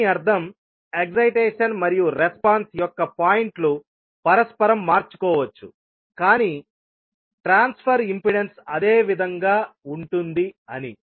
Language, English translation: Telugu, It means that the points of excitation and response can be interchanged, but the transfer impedance will remain same